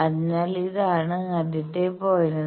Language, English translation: Malayalam, So, this is the first point